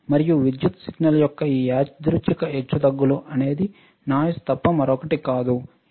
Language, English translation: Telugu, And this random fluctuation of the electrical signal is nothing but your called noise all right